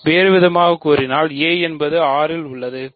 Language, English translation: Tamil, So, in other words this is a in R such that a plus I is equal to 0 plus I